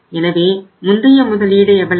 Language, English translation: Tamil, So what was the investment earlier